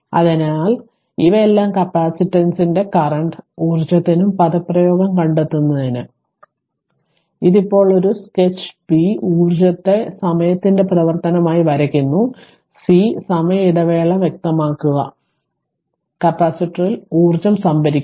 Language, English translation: Malayalam, So, what what we have to do is that, we have to find out all these derive the expression for the capacitor current power and energy, this is now a, sketch b sketch the energy as function of time, c specify the inter interval of time when the energy is being stored in the capacitor right